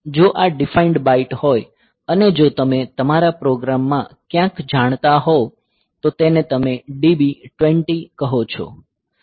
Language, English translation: Gujarati, So, if this defined byte, so if you know in your program somewhere if you write like say DB 20